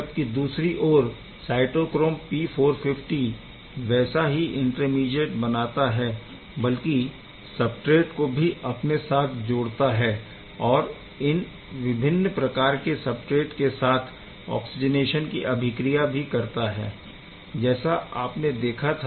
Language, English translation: Hindi, On the other hand cytochrome P450; obviously, forms the same intermediate, but it engages the substrate as you have seen many different substrate in taking the oxygenation reaction forward right